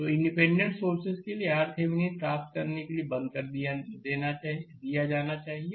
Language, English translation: Hindi, So, for independent sources should be turned off to get your R Thevenin